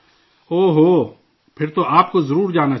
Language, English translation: Urdu, O… then you must go